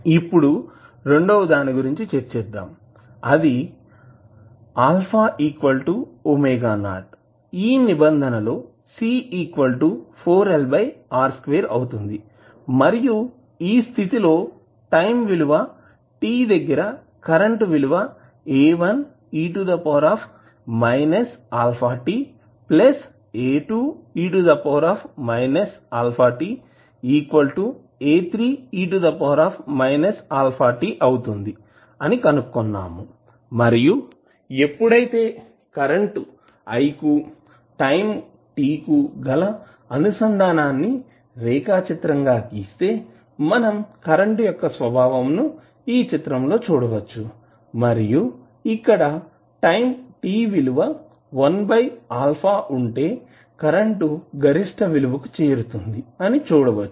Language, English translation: Telugu, Now second case what we discussed was alpha is equal to omega naught where the condition is that C is equal to 4L by R square and we found that current in that case is i at time t is equal to 0 at time t is A1t plus A2 into e to the power minus alpha t and when we plot this the value of current i with respect to time t we saw that the characteristic of the current is as shown in the figure and we saw that at time t is equal to 1 by alpha the current will be at its maximum value